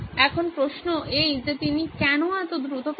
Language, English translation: Bengali, So this is the reason is, she is teaching very fast